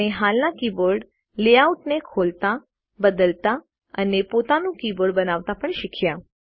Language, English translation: Gujarati, We also learnt to open an existing keyboard layout, modify it, and create our own keyboard